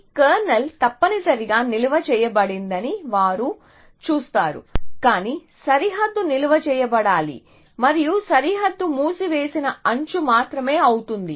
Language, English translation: Telugu, They will see that this kernel is not necessarily stored, but the boundary has to be stored and the boundary is going to be only the edge of the closed essentially in some senses